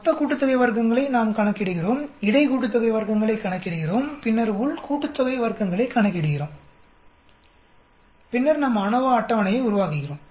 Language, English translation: Tamil, We calculate total sum of squares then we calculate between sum of squares and then we calculate within sum of squares and then we make the ANOVA table